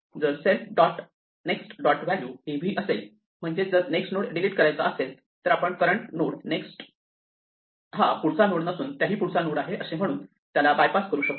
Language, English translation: Marathi, If the self dot next dot value is v that is if the next node is to be deleted then we bypass it by saying the current nodeÕs next is not the next node that we had, but the next nodeÕs next